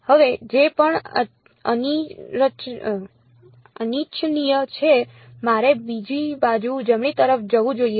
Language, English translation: Gujarati, Now whatever is unwanted I should move to the other side right